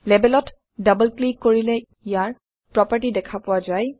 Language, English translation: Assamese, Double clicking on the label, brings up its properties